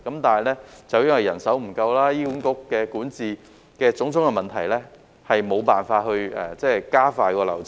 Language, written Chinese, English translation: Cantonese, 但是，由於人手不足及醫院管理局管治的種種問題，以致無法加快流程。, However it is impossible to expedite the process due to insufficient manpower and various governance issues in the Hospital Authority HA